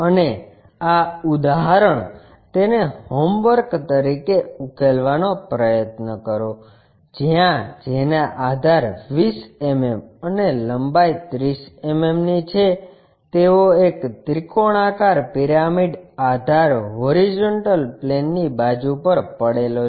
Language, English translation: Gujarati, And this problem, work it out as a homework, where a triangular pyramid of edge of the base 20 mm and length 30 mm is resting on a side of the base horizontal plane